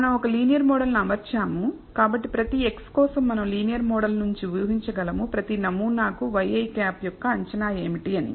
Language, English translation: Telugu, We have fitted a linear model, so, for every x i we can predict from the linear model what is the estimate of y i hat for every sample